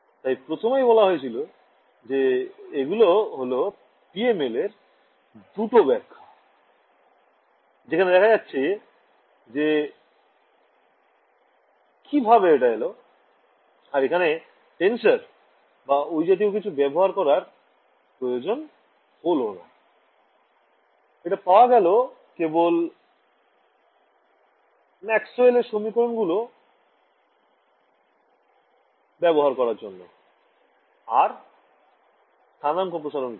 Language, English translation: Bengali, So, in the very beginning I had mentioned that, these are the two interpretations of PML over here you can see straight away how it is coming right and I did not have to deal with tensors or any such things, I got is just by using our usual Maxwell’s equations and stretching the coordinates right